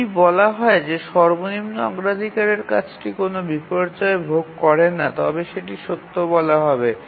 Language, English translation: Bengali, If we said the lowest priority task does not suffer any inversions, that would be true